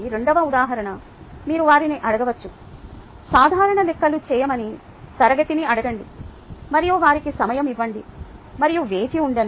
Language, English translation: Telugu, you could ask them, ask the class, to do simple calculations and give them time and wait